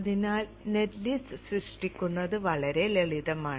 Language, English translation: Malayalam, So generating the net list is pretty simple